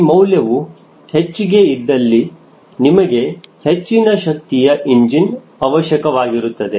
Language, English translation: Kannada, if this number is more, it means you need to high power engine